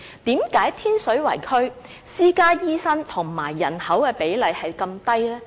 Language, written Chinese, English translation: Cantonese, 為甚麼天水圍區私家醫生與人口的比例是如此低呢？, Why is the ratio of private doctors to the population so low in Tin Shui Wai?